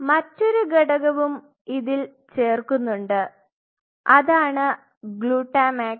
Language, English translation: Malayalam, And there is another component which is added which is called glutamax